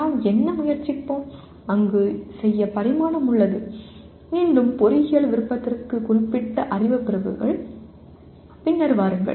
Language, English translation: Tamil, What we will try to do there are has dimension, again knowledge categories that are specific to engineering will come later